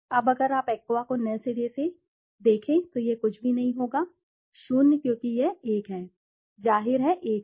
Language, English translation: Hindi, Now if you look at Aqua fresh to Aqua fresh it will be nothing, 0 because it is one, obviously one